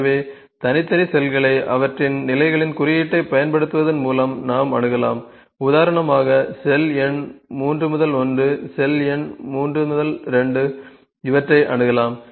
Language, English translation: Tamil, So, we can access the individual cells by employing their index that is by their positions for instance the cell number 3 1 cell number 3 2 there can be accessed